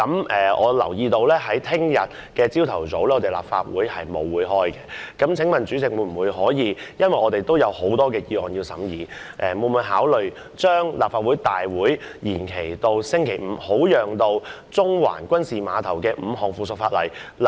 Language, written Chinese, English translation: Cantonese, 我留意到明天早上立法會沒有任何會議，既然我們還有很多議案有待審議，請問主席會否考慮將立法會會議延期至星期五，以便審議5項附屬法例？, I notice that there will be no meeting at the Legislative Council tomorrow morning . Since we have many motions pending deliberation will the President consider extending the Council meeting into Friday to scrutinize the five pieces of subsidiary legislation?